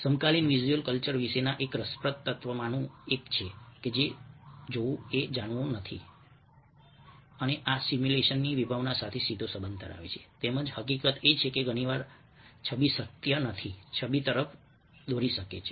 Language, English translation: Gujarati, one of the interesting element about contemporary visual culture is sometime seeing is not knowing, and this has direct implications, relationship with the concept of simulation, as well as the fact that very often, ah, the image is not the truth